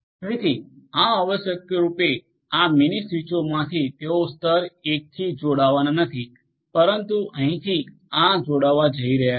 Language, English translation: Gujarati, So, these essentially from this mini switches they are not going to connect to the level 1, but from here these are going to connect right